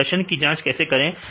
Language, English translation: Hindi, So, how to perform check the performance